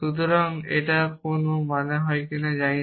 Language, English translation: Bengali, So, it know does not make sense